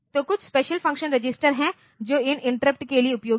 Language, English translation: Hindi, So, there are some special function registers that are useful for these interrupts